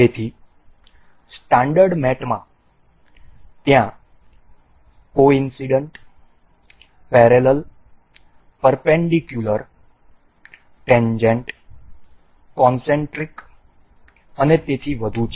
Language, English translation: Gujarati, So, in standard mates there are coincident parallel perpendicular tangent concentric and so on